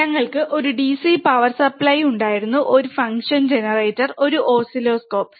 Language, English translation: Malayalam, We had a DC power supply, a function generator, and an oscilloscope